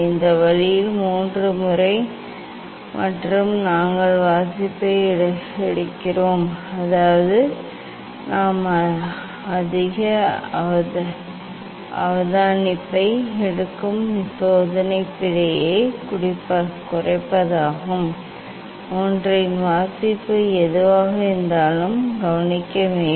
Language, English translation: Tamil, this way 3 times and we take reading; that is to minimize the experimental error we take more observation whatever the reading on one should note down